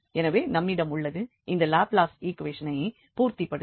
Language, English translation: Tamil, So, we have that, that you satisfy this Laplace equation